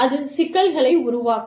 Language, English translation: Tamil, And, that can create problems